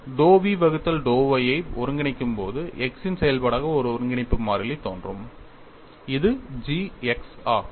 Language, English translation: Tamil, So, when I go to dou v by dou y when I integrate, I get a integration constant as function of x